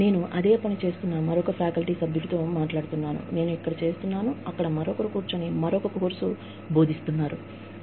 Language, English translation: Telugu, I speak to another faculty member, who is doing the same thing, that I am doing here, who is sitting and teaching, another course, there